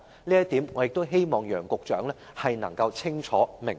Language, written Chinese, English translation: Cantonese, 這一點，我亦希望楊局長能夠清楚明白。, I hope that Secretary Nicholas W YANG will understand this point clearly